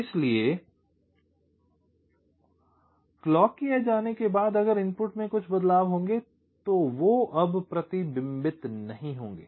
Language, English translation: Hindi, so, after the clock edge appears, if there are some changes in the inputs, that will no longer be reflected